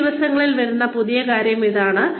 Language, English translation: Malayalam, This is the new thing, that is coming up, these days